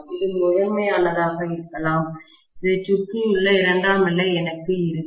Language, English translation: Tamil, This may be primary and I will have the secondary around this